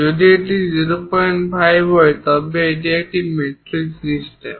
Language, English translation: Bengali, 50, it is a metric system